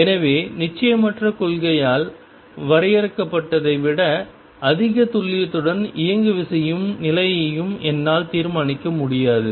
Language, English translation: Tamil, So, I cannot determine both momentum and the position with a greater accuracy than limited by uncertainty principle